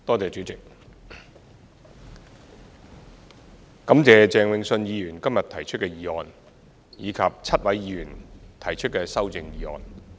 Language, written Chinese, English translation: Cantonese, 主席，感謝鄭泳舜議員今日提出的議案，以及7位議員提出的修正案。, President I thank Mr Vincent CHENG for moving the motion today and the seven Members for moving their amendments